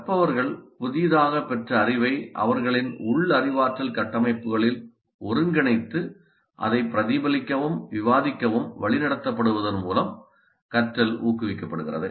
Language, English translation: Tamil, Learning is promoted when learners integrate their newly acquired knowledge into their internal cognitive structures by being directed to reflect and discuss it